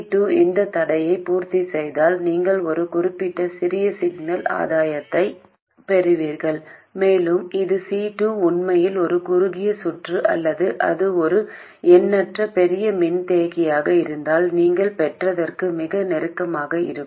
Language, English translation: Tamil, If C2 satisfies this constraint, then you will get a certain small signal gain and it will be very close to what you would have got if C2 were really a short circuit or it is an infinitely large capacitor